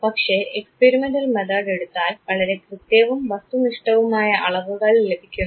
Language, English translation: Malayalam, But experimental method basically it gives you accurate and objective measurement